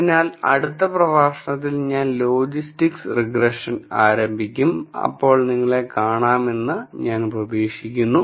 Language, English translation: Malayalam, So, I will start logistic regression in the next lecture and I hope to see you then